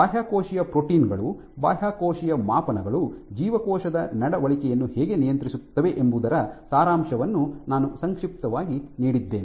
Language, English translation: Kannada, I have briefly given your gist of how extracellular proteins, extracellular metrics can regulate cell behavior